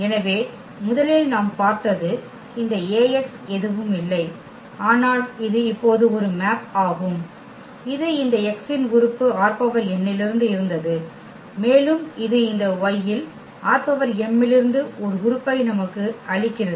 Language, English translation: Tamil, So, first what we have seen that this Ax is nothing but it is a mapping now the element this x which was from R n and it is giving us an element in this y in this R m